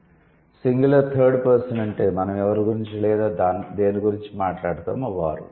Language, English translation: Telugu, Singular third person is the person or the thing talked about that we are talking about